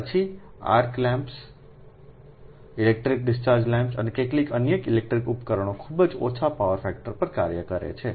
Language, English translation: Gujarati, then arc lamps, electric discharge lamps and some other electric equipments operate at very low power factor right